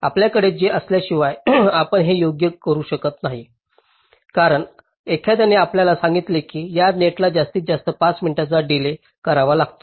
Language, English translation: Marathi, so unless you have this, you cannot do this right because, ah, someone has to tell you that this net has to have a maximum delay of, say, five minutes